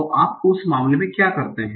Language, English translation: Hindi, So what do you do in that case